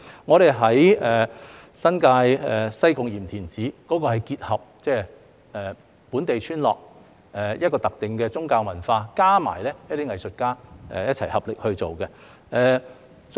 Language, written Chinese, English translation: Cantonese, 至於新界西貢鹽田梓藝術節，則結合了本地村落特定的宗教文化，加上一些藝術家一起合力去做。, As for the Yim Tin Tsai Arts Festival in Sai Kung New Territories we have combined the specific religious culture of the local village with the joint efforts of some artists